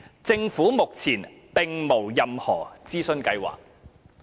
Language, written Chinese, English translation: Cantonese, 政府目前並無任何諮詢計劃。, At present we have no plan to conduct consultation